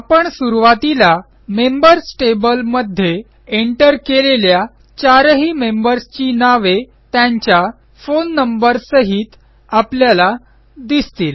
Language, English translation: Marathi, Notice that we see all the four members that we originally entered in the Members table along with their phone numbers